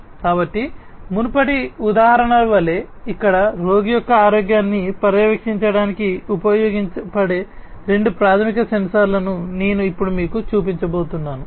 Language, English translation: Telugu, So, over here like the previous example, I am now going to show you two very fundamental sensors that can be used for monitoring the health of the patient